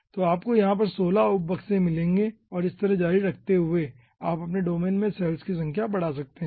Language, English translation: Hindi, okay, you will be finding out 16 sub boxes over here and continuing like this, you can increase the number of cells in your domain